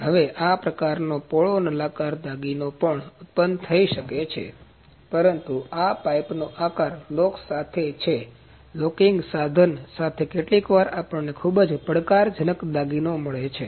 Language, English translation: Gujarati, Now this kind of hollow cylindrical job can also be produced, but this is pipe shaped with lock, but with the locking device sometimes we get very challenging kind of jobs